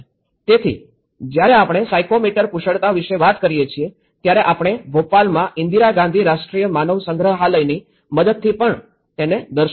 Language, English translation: Gujarati, So, when we say about the psychomotor skills, we also have demonstrated by with the help of Indira Gandhi Rashtriya Manav Sangrahalaya in Bhopal